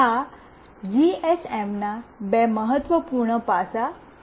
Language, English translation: Gujarati, These are the two important aspect of this GSM